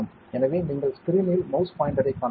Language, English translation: Tamil, So, you can see the mouse pointer on the screen